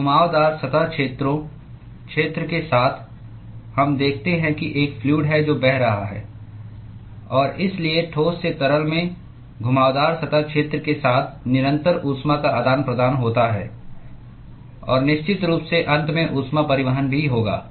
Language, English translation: Hindi, So, along the curved surface areas area, we see that there is a fluid which is flowing and therefore, there is constant heat exchange from the solid to the fluid along the curved surface area and of course there will be heat transport from the end also